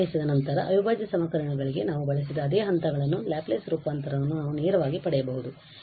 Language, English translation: Kannada, The same steps we have for the integral equations after applying the Laplace transform we can directly get this L y is equal to F s